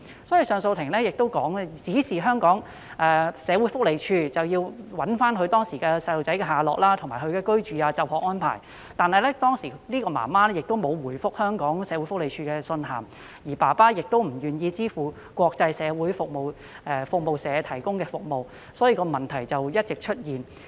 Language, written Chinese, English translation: Cantonese, 因此，上訴法庭亦指示香港社會福利署尋找他的子女當時的下落，以及對他們的居住和就學安排進行調查，但該名母親當時沒有回覆社署的信函，而父親亦不願意支付香港國際社會服務社提供的服務，因此，問題持續出現。, As a result CA directed the Hong Kong Social Welfare Department SWD to investigate as to the then whereabouts of the child and his living and schooling arrangements . Yet the mother did not respond to any communications sent to her by SWD and the father did not agree to pay for the services of the International Social Service so problems kept arising